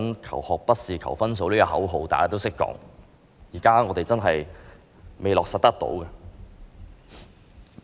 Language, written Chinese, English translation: Cantonese, "求學不是求分數"這口號大家都懂得說，但我們現時真的未能落實。, Learning is more than scoring is a slogan that we can all chant but we have so far failed to put it into practice